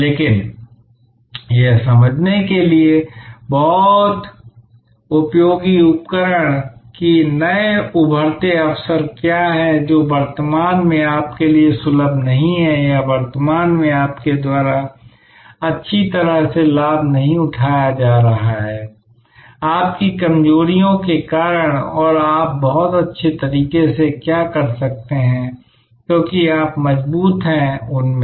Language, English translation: Hindi, But, very useful tool to understand, that what are the new emerging opportunities which are sort of not accessible to you currently or not being avail by you well currently, because of your weaknesses and what opportunities you can do very well, because you are strong in those